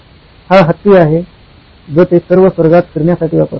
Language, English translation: Marathi, This is the elephant that he rides all across the heavens